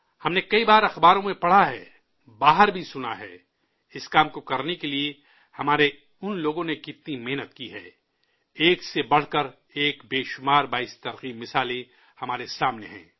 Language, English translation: Urdu, We've often read in newspapers, heard elsewhere as well how hard our people have worked to undertake this task; numerous inspiring examples are there in front of us, one better than the other